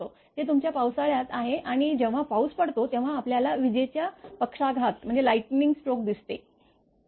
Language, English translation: Marathi, That is during your rainy season and when rain is offer you we can see the lightning stroke right